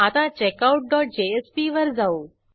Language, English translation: Marathi, Now, let us come to checkOut dot jsp